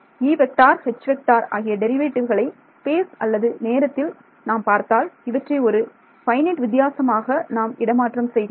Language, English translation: Tamil, E H wherever I see a derivative in space or time I am going to be replace it by a finite difference that is a philosophy